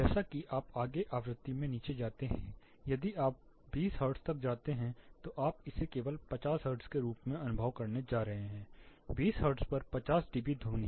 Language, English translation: Hindi, As you further go down in frequency, say if you go as low as 20 hertz you are going to perceive it as just 50 hertz you know 50 dB sound at 20 hertz